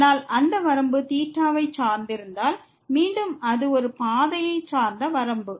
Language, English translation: Tamil, But if that limit is depending on theta, then again it is a path dependent limit